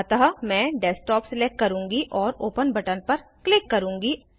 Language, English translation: Hindi, So, I will select Desktop and click on the Open button